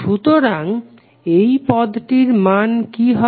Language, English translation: Bengali, So what would be the value of this